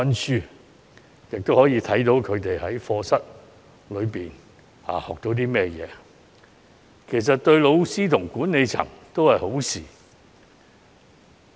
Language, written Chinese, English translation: Cantonese, 這樣既可以了解子女在課室所學，對老師及管理層都是好事。, Enabling parents to understand what their children have learnt in class is good for both the teachers and school managements